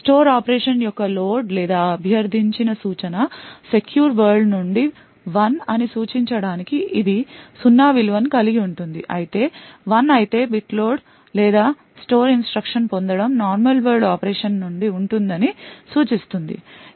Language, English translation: Telugu, It would have a value of zero to indicate that the load of store operation or the instruction that is requested is from the secure world if it is 1 that bit would indicate that the load or store instruction fetch would be from a normal world operation